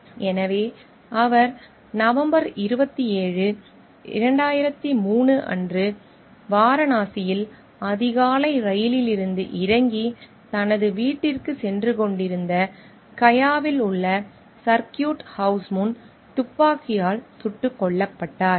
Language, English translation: Tamil, So, he was gun down in the early hours of November 27, 2003 in front of circuit house in Gaya where he was going to his residence after alighting from a train in Varanasi